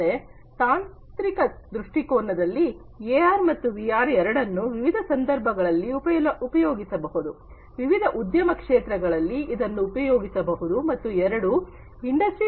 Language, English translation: Kannada, So, from a technological perspective, both AR and VR they can be used in different context; different contexts they can be used, different industry sectors they can be used and together they can help in improving Industry 4